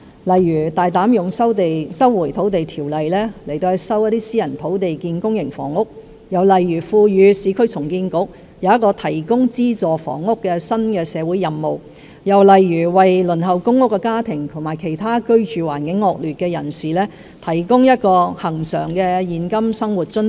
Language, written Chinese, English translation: Cantonese, 例如，我們會大膽引用《收回土地條例》收回一些私人土地以興建公營房屋，我們亦會賦予市區重建局一個提供資助房屋的新社會任務，我們也會為輪候公屋的家庭和居住環境惡劣的其他人士提供恆常現金生活津貼。, For example we will boldly invoke the Lands Resumption Ordinance to resume some private land for developing public housing; we will entrust the Urban Renewal Authority with a new mission to provide subsidized housing and we will also provide cash allowance on a regular basis to households waiting for public rental housing allocation and other people living in adverse conditions